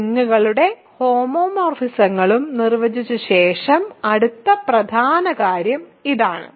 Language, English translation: Malayalam, So, after defining rings and homomorphisms the next important thing is this